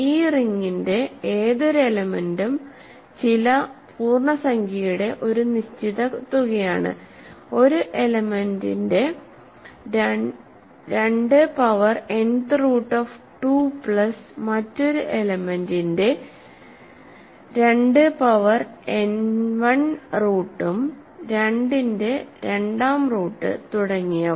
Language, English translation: Malayalam, So, any element of this ring is a finite sum of some integer times an element some 2 power n th root of 2 plus another element times 2 power n 1th root and 2th root of 2 and so on